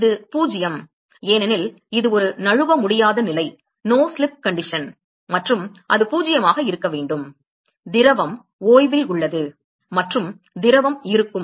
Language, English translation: Tamil, It is 0; because it is a it is a no slip condition and so it has to be 0 the fluid comes to rest and the fluid is going to be